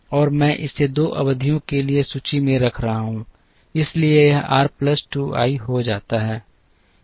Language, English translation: Hindi, And I am keeping it in inventory for 2 periods, therefore this becomes r plus 2 i